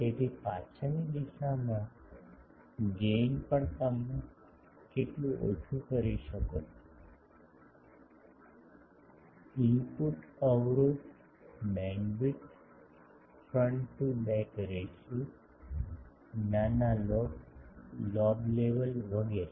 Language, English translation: Gujarati, So, gain in the backward direction also how much reduce you can get; input impedance, bandwidth, front to back ratio, minor lobe level etc